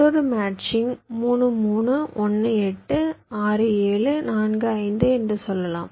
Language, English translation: Tamil, lets say, another matching: two, three, one, eight, six, seven, four, five